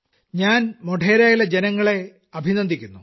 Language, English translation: Malayalam, And my salutations to all the people of Modhera